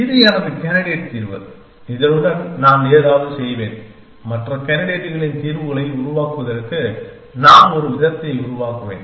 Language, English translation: Tamil, This is my candidate solution and I will do something with this may be I will do formulation of some sort to generate other candidates solutions